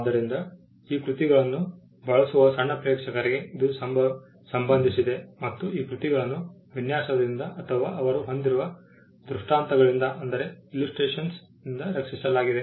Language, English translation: Kannada, So, it pertained to a small audience who use these works and these works were anyway protected by the design or by the illustrations that they carry